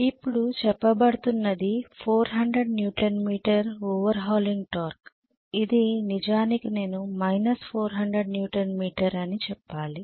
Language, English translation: Telugu, Okay, now what is being said is 400 Newton meter is the over hauling torque which is actually I should say minus 400 Newton meter